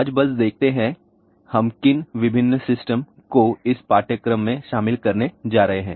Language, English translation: Hindi, Today, let just see what are the different systems we are going to cover in this particular course